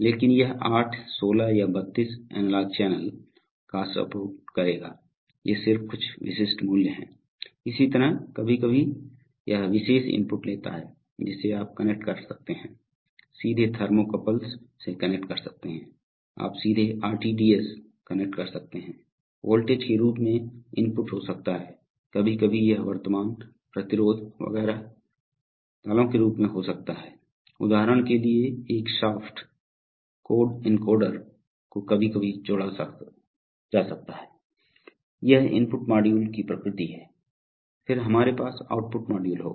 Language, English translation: Hindi, But it will support 8 16 or 32 analog channel, these are just some typical values, similarly sometimes it takes special inputs like, you can connect, directly connect thermocouples, you can directly connect RTDS, so inputs can be in the form of voltage, current, resistance, etcetera sometimes it can be in the form of pulses, for example a shaft angle encoder can be sometimes connected, so this is the nature of input modules, then we have output modules